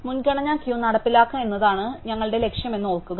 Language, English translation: Malayalam, So, recall that our goal is to implement a priority queue